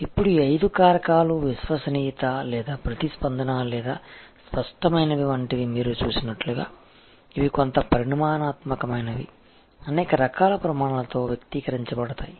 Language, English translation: Telugu, Now, as you see out these five factors, things like reliability or responsiveness or tangibles, these are somewhat a quantitative, expressible in numbers type of criteria